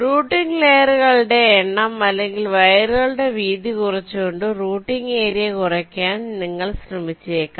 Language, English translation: Malayalam, so you may try to minimize the width of the routing wires or the total area of a routing you want to minimize